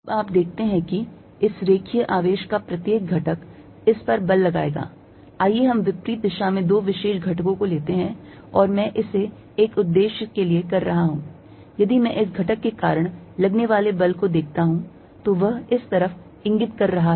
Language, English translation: Hindi, Now, you see each element of this line charge is going to apply a force on this, let us take two particular elements on the opposite sides and I am doing it for a purpose, if I look at the force due to this element, it is going to be pointing this way